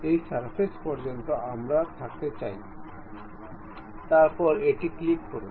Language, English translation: Bengali, Up to this surface we would like to have, then click ok